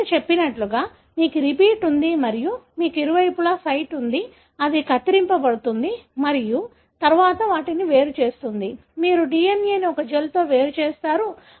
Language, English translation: Telugu, As I said, you have a repeat and you have a site on either side; it is going to cut and then separate them , you separate the DNA in a gel